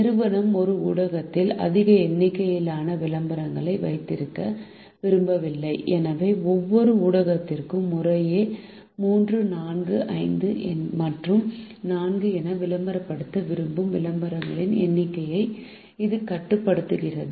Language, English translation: Tamil, the company does not want to have a large number of advertisements in a single media and therefore it restricts the number of advertisement certain wishes to have in each media as three, four, five and four respectively